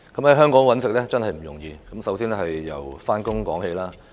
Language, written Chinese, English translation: Cantonese, 在香港生活真不容易，先由上班說起。, Life is really not easy in Hong Kong . Let me start with going to work